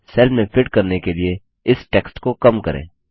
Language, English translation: Hindi, Shrink this text to fit in the cell